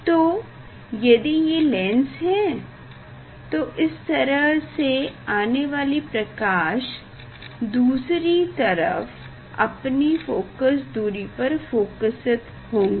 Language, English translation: Hindi, light if it is lens, light in this other side light will be focus that the focal length